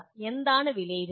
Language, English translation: Malayalam, What is assessment